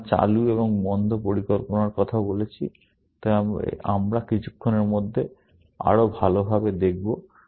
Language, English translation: Bengali, We have talked of planning on and off, but we will look at a closer look in a little while